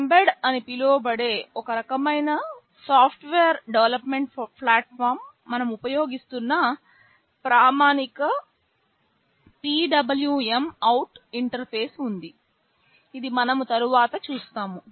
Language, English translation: Telugu, There is a standard PWMOut interface that we shall be using in some kind of software development platform called mbed, this we shall be seeing later